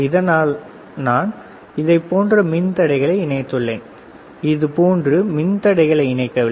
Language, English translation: Tamil, That is why I connected resistors like this, not resistor like this